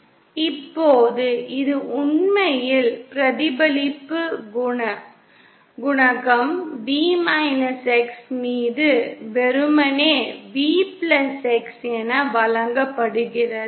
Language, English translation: Tamil, Now this actually, the reflection coefficient is given as simply V+x upon V x